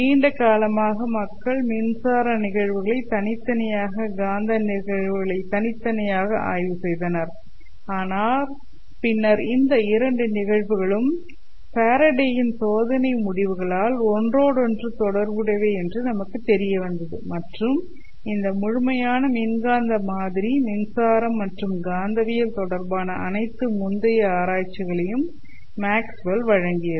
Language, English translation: Tamil, So for a long time people studied electric phenomena separately, magnetic phenomena separately but then it was shown that these two phenomena are interrelated by experimental work of Faraday and this complete electromagnetic model was given by Maxwell building upon all earlier experimental researches in electricity and magnetism